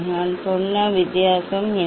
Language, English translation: Tamil, what is the difference I told